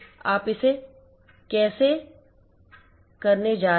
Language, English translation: Hindi, How you are going to place it